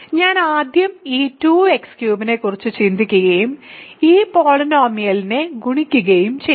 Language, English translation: Malayalam, So, I will first think of this 2 x cubed and multiply this polynomial